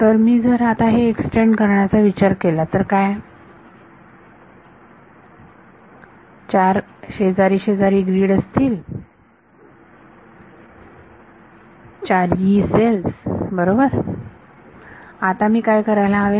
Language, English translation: Marathi, So, what if I take now think of extending this there are going to be four adjacent grids, four Yee cells right what should I do